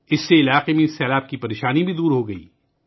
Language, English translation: Urdu, This also solved the problem of floods in the area